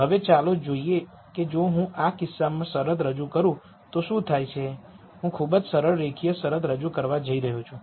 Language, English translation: Gujarati, Now let us see what happens if I introduce a constraint in this case I am going to introduce a very simple linear constraint